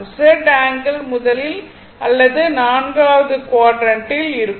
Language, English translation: Tamil, So, angle can be anywhere for Z angle will be either first or in the fourth quadrant right